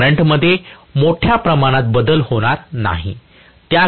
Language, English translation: Marathi, The current will not change grossly